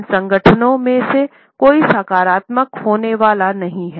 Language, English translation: Hindi, None of these associations happens to be a positive one